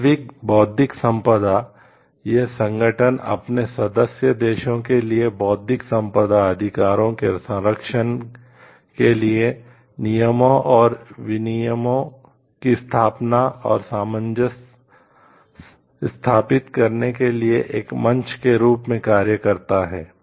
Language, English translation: Hindi, World intellectual property; organization it serves as a forum for it is member states to establish and harmonize rules and practices for the protection of intellectual property rights